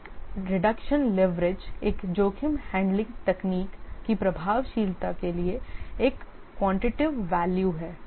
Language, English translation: Hindi, The risk reduction leverage is a quantitative value for the effectiveness of a risk handling technique